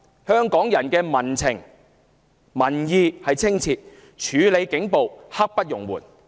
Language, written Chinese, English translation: Cantonese, 香港人的民情、民意十分清晰：處理警暴，刻不容緩。, The sentiment and opinion of Hongkongers cannot be clearer police brutality must be tackled without delay